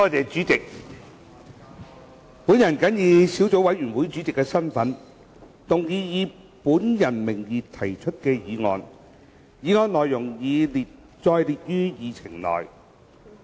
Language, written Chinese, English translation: Cantonese, 主席，本人謹以小組委員會主席的身份，動議以本人名義提出的議案，議案內容已載列於議程內。, President in my capacity as Chairman of the Subcommittee I move that the motion under my name as printed on the Agenda be passed